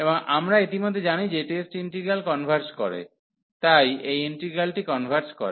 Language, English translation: Bengali, And we know already that the test integral converges, so this converges so this integral converges